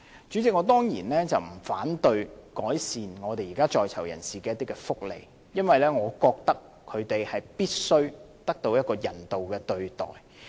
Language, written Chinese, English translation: Cantonese, 主席，我當然不反對改善在囚人士的福利，因為我覺得他們必須得到人道的對待。, President I certainly am not against improving the well - being of inmates as I feel that they should be treated humanely